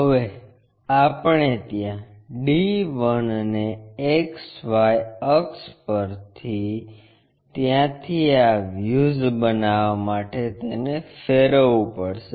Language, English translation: Gujarati, Now, we have projected d 1 onto axis XY from there we have to rotate it to construct this views